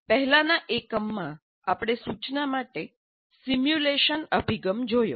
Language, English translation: Gujarati, In the earlier unit, we saw the simulation approach to instruction to instruction